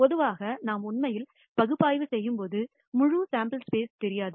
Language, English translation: Tamil, Typically, when we are actually doing analysis we do not know the entire sam ple space